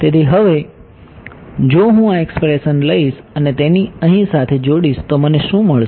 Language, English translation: Gujarati, So, now, if I take this expression and combine it with this over here, what do I get